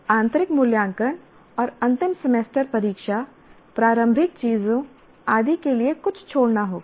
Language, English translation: Hindi, Something will have to be left for internal valuations and end semester exam, preparatory things and so on and on